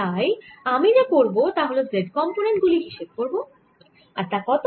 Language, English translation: Bengali, so all i am going to do is calculate the z component and what is the z component